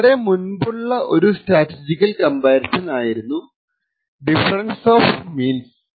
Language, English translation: Malayalam, One of the earliest forms of statistical comparison is known as the Difference of Means